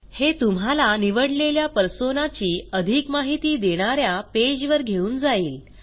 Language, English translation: Marathi, This will take you to a page which gives details of the chosen Persona